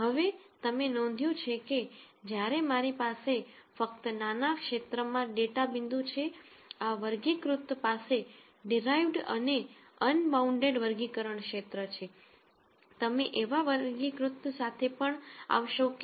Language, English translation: Gujarati, Now, you noticed that while I have data points only in a small region this classifier has derived and unbounded classification region